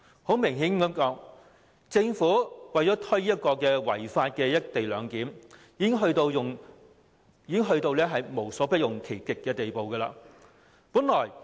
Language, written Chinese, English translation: Cantonese, 坦白說，政府為了推行違法的"一地兩檢"，已經到了無所不用其極的地步。, Frankly speaking the Government has reached a point where it would take forward the unlawful co - location arrangement by hook or by crook